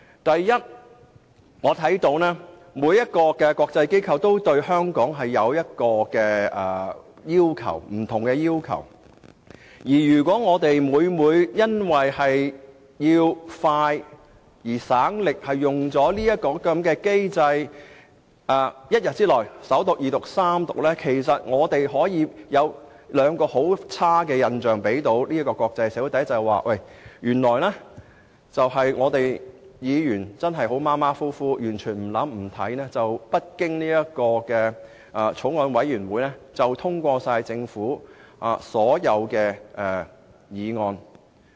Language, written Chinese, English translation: Cantonese, 第一，每個國際機構對香港也有不同要求，如果議員因省時、省力的緣故，而要即日完成法案的首讀、二讀和三讀程序，便會給國際社會兩個非常差的印象：第一，本會議員態度馬虎，完全不動腦筋，也不想細閱條文，不經法案委員會便通過政府提出的所有法案。, First of all every international organization has a different set of requirements for Hong Kong . Members will leave the international community a very poor impression should they rush a Bill through its First Second and Third Readings on the same day for the sake of saving time and energy First Members of this Council adopt a slapdash attitude without racking their brains . Nor do they wish to read the provisions carefully